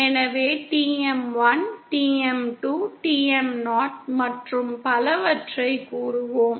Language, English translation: Tamil, So we will have modes like say TM 1, TM 2, TM 0 and so on